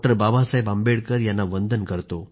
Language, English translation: Marathi, Baba Saheb Ambedkar